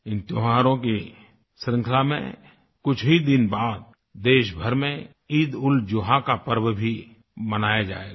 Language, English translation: Hindi, In this series of festivals, EidulZuha will be celebrated in a few days from now